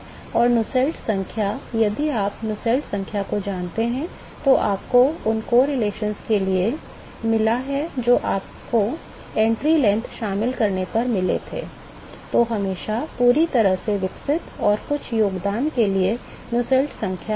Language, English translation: Hindi, So, the Nusselts number, if you look at the Nusselts number that you got for the correlations that you got when you included entry length is always the Nusselts number will be, Nusselts number for fully developed plus some contribution